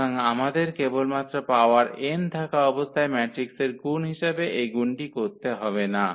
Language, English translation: Bengali, So, we do not have to do this multiplication as the matrix multiplication just simply when we have the power n